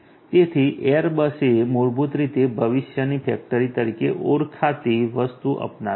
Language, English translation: Gujarati, So, I you know Airbus basically has adopted something known as the factory of the future